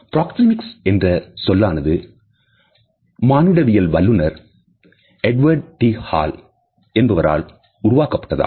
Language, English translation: Tamil, The term proxemics has been coined by the cultural anthropologist, Edward T Hall